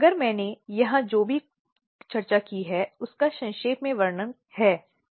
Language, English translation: Hindi, So, if I summarize whatever we have discussed here